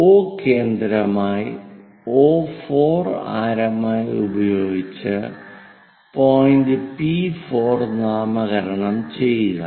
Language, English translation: Malayalam, With O as center 4 as radius O to 4 make an arc here to name it P4 point